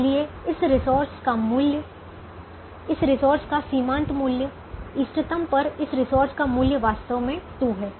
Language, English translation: Hindi, therefore, the worth of this resource, the marginal value of this resource, the worth of this resource at the optimum is indeed two